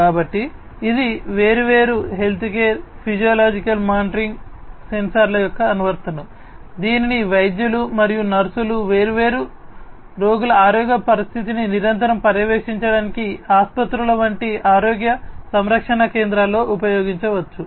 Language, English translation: Telugu, So, this is a an application of different healthcare physiological monitoring sensors, which can be used in the health care centers health care centers such as hospitals etc for continuously monitoring the health condition of different patient by the doctors, nurses and so on